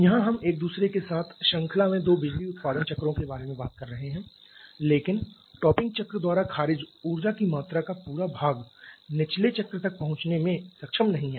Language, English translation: Hindi, Here you are talking about two power producing cycles in series with each other but the amount of energy rejected topping cycle entire of that is not able to really reach the bottoming cycle